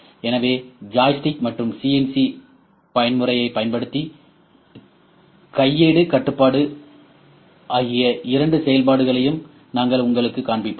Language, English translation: Tamil, So, we will show you the both operations, the manual control using a joystick and CNC mode as well